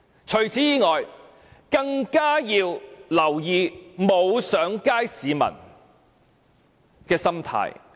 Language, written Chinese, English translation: Cantonese, 此外，政府更要留意沒有上街的市民的心態。, On the other hand the Government should pay more attention to the mentality of those not taking to the streets